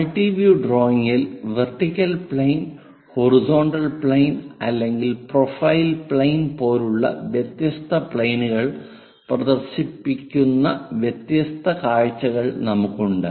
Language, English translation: Malayalam, In multi view drawing we have different views by projecting it on different planes like vertical plane, horizontal plane or profile plane